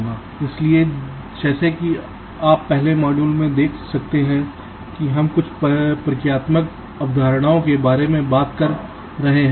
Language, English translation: Hindi, so, as you can see, in the first module we shall be talking about some of the introductory concepts